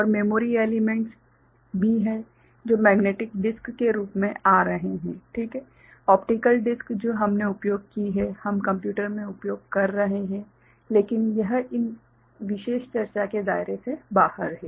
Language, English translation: Hindi, And also there are memory elements which is coming in the form of you know, magnetic disk ok, optical disk that we have used we are using in computers, but that is outside the purview of these particular discussion